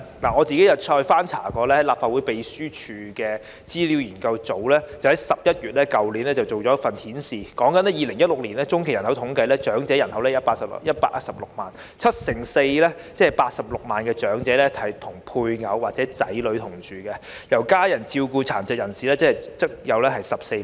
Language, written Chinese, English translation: Cantonese, 我曾翻閱立法會秘書處資料研究組去年11月發表的一份資料，當中指出按2016年進行的中期人口統計數字，長者人口數目有116萬人，其中七成四長者與配偶或子女同住，由家人照顧的殘疾人士則有14萬人。, I have gone through a document published by the Research Office of the Legislative Council Secretariat in November last year . According to the document based on the findings of the 2016 by - census Hong Kongs elderly population was 1.16 million of which 74 % ie